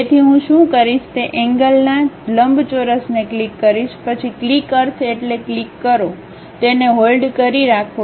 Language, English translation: Gujarati, So, what I will do is click corner rectangle, then click means click, hold it